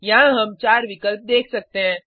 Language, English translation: Hindi, We can see 4 options here